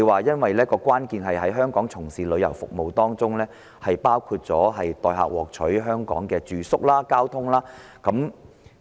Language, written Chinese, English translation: Cantonese, 他說關鍵在於在香港提供的旅遊服務是否包括代客獲取香港的住宿和交通。, He said the crux of the problem was whether the tourism services provided in Hong Kong include obtaining accommodation and carriage for visitors to Hong Kong